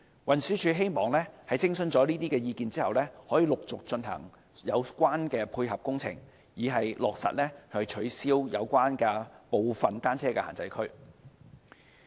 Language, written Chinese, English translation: Cantonese, 運輸署希望在徵詢這些意見後，可以陸續進行有關的配合工程，以落實取消部分單車限制區。, After such consultation TD expects to carry out the associated complementary works projects one after another so as to implement the abolition of some of the bicycle prohibition zones